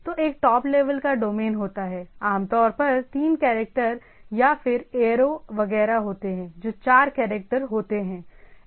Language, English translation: Hindi, So, there is a top level domain typically three characters or there are aero etcetera which is four characters